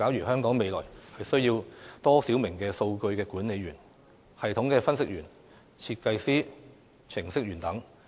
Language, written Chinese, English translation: Cantonese, 香港未來需要多少名數據管理員、系統分析員、設計師、程式員等？, How many data administrators system analysts designers programmers and the like will Hong Kong need in the future?